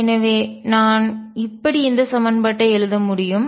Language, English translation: Tamil, And therefore, I can write the equation as